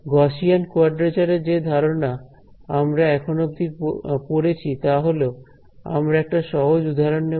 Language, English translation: Bengali, To drive home the idea of Gaussian quadrature that we have studied so, far what we will do is we will take a simple example